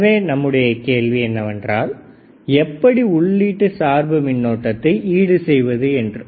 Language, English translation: Tamil, So, now the question is if that is the case we have to compensate the effect of input bias current right